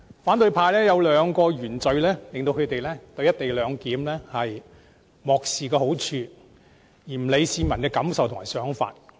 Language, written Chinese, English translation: Cantonese, 反對派有兩大原罪，令他們漠視"一地兩檢"的好處，不顧市民的感受和想法。, The opposition camp has two original sins which blind them to the advantages brought by co - location disregarding the peoples feelings and views